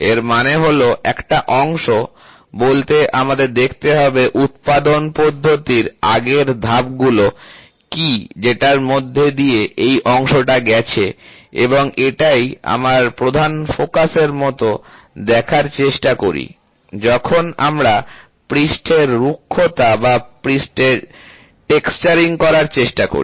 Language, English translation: Bengali, So that means, to say there is a part, so we have to see, what was the previous step in the manufacturing process this part has undergone and that is what we try to look as a prime focus, when we try to do surface roughness or surface texturing